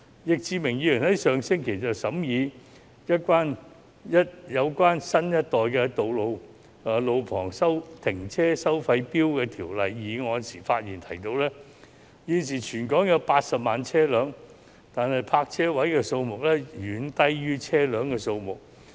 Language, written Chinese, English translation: Cantonese, 易志明議員在上星期審議有關新一代路旁停車收費錶的法案時提到，現時全港有近80萬部車輛，但泊車位的數量遠低於車輛的數目。, In scrutinizing the bill on the new generation of on - street parking meters last week Mr Frankie YICK mentioned that there are currently 800 000 vehicles in Hong Kong but the number of parking spaces is way fewer than the number of vehicles